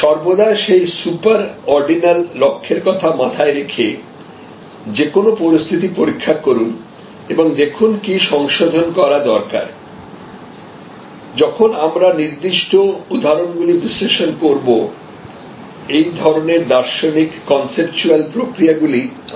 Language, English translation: Bengali, Always test the evolving situation with respect to that super ordinal goal and see what needs to be done to course correction, when we discuss about certain specify examples these sort of philosophical a conceptual processes will become clear